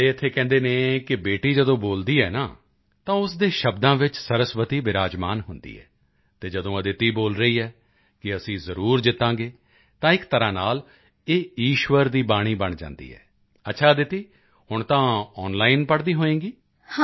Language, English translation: Punjabi, It is said here that when a daughter speaks, Goddess Saraswati is very much present in her words and when Aditi is saying that we will definitely win, then in a way it becomes the voice of God